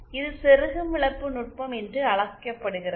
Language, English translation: Tamil, This is called the insertion loss technique